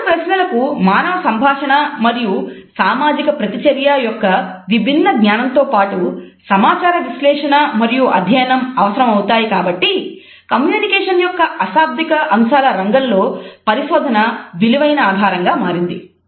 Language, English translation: Telugu, Since such questions require a diverse knowledge from human communication and social interaction, as well as information processing and learning, we find that research in the field of nonverbal aspects of communication has become a rich source